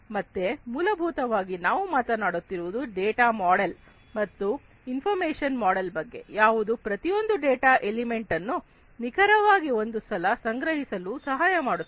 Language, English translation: Kannada, So, essentially we are talking about a data model and information model that will help in storing every data element exactly once